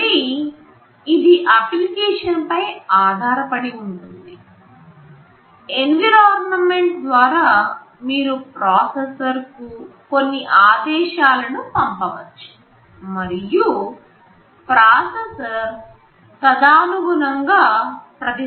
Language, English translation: Telugu, It depends again on the application, through the environment you can send some commands to the processor, and the processor will respond accordingly